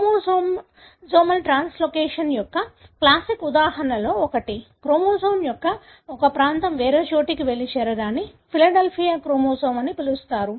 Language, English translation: Telugu, One of the classic examples of chromosomal translocation, a region of the chromosome going and joining elsewhere is represented by the so called Philadelphia chromosome